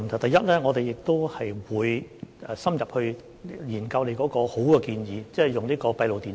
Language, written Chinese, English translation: Cantonese, 第一，我們會深入研究這個好建議，即安裝閉路電視。, First we will study his good suggestion of installing closed - circuit television systems in depth